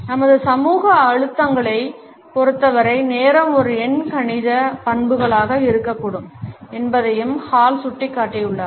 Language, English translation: Tamil, Hall has also pointed out that time can be an arithmetic characteristic as far as our social pressures are concerned